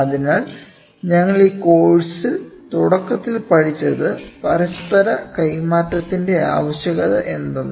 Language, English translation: Malayalam, So, we studied in this course initially what is the need for interchangeability